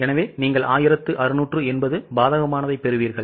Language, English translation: Tamil, So, you will get 1680 adverse